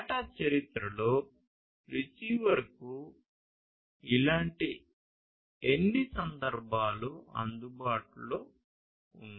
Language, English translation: Telugu, So, in the history of the data how many such instances are available to the receiver